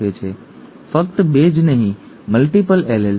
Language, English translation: Gujarati, Okay, not just 2, multiple alleles